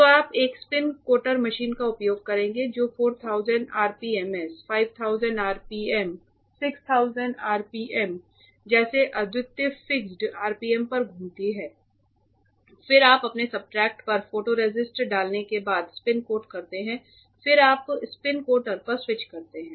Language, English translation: Hindi, So, you will use a spin coater machine that does that rotates at unique RPMs fixed RPMs like 4000 RPM, 5000 RPM, 6000 RPM and then you spin coat after dropping the putting the photoresist on your substrate and then you switch on the spin coater it will rotate and uniformly spread the photoresist on your substrate